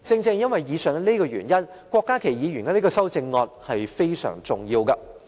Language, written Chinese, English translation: Cantonese, 正因如此，郭家麒議員提出的修正案是非常重要的。, For this reason the amendment proposed by Dr KWOK Ka - ki is most important